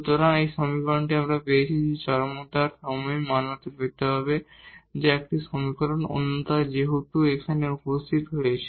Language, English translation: Bengali, So, this is the equation we got that that has to be satisfied at the point of extrema that is a one equation, another one since lambda has appeared here